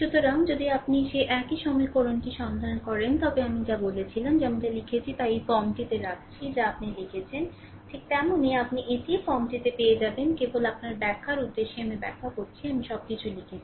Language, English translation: Bengali, So, so, if you look into that that same equation whatever just I said that I am putting in this form whatever I written you just put it and you will get in the same form right just for the purpose of your explanation I ah explanation I wrote everything